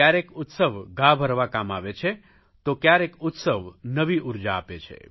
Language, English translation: Gujarati, Sometimes festivities help to heal wounds and sometimes they are source of renewed energy